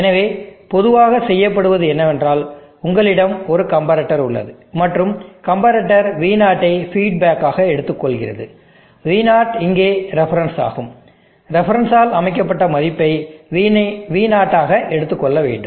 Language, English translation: Tamil, So generally what is done is that, you have a comparator, and the comparator takes feedback V0 is given as feed back here, V0 and there is a v not reference, you want your V0 to take a value as said by the reference